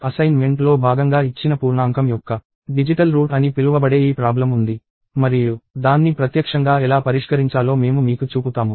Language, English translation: Telugu, So, there was this problem called digital root of an integer that was given as part of the assignment, and I thought I will show you how to solve it live